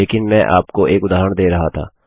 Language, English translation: Hindi, But I was just giving you an example